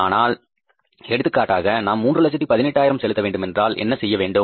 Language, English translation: Tamil, But for example we had to pay for example $318,500